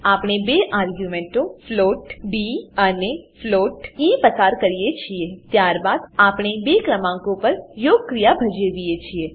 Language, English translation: Gujarati, We had pass two arguments float d and float e Then we perform the addition operation on two numbers